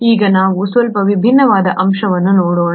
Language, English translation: Kannada, Now, let us look at a slightly different aspect